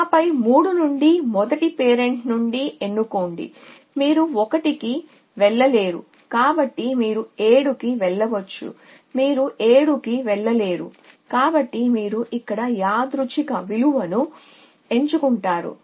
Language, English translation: Telugu, And then from 3 choose from the first parent you 1 go to 1 so you go to 7 you 1 go to 7 so you choose something random